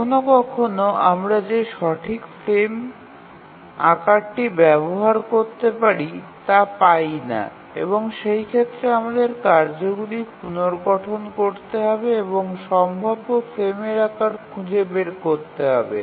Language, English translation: Bengali, Sometimes we don't get correct frame size that we can use and in that case we need to restructure the tasks and again look for feasible frame size